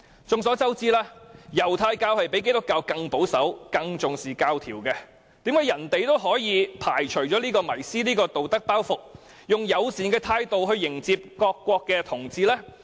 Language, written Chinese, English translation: Cantonese, 眾所周知，猶太教較基督教更保守、更重視規條，為甚麼他們也可以排除這道德包袱，以友善的態度來迎接各國的同志？, It is a well - known fact that Judaism is more conservative than Christianity and attaches greater importance to rules and regulations . How come the Israelites can let go of this moral burden and receive LGBTs of different nationalities in a friendly manner?